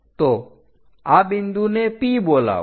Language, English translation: Gujarati, So, call this point as P